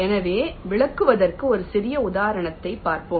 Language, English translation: Tamil, ok, fine, so lets look a small example to illustrate